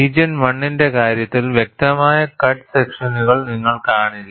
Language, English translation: Malayalam, In the case of region 1, you will not see clear cut striations